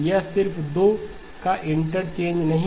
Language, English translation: Hindi, It is not just the interchange of the two